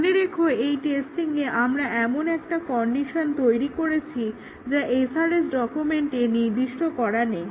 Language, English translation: Bengali, Remember that here we give, we create conditions in these testing which is beyond what is specified in the SRS document